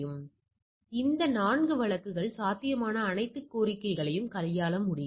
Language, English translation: Tamil, So, this 4 cases can handle all possible combinations